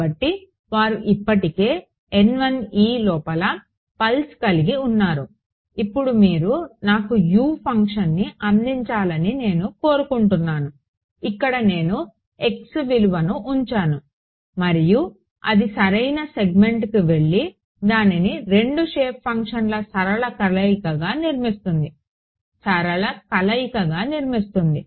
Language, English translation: Telugu, So, N 1’s are already they already have the pulse inside it, now I want you to give me a function U; where I put in the value of x and it goes to the correct segment and constructs it as a linear combination of 2 shape functions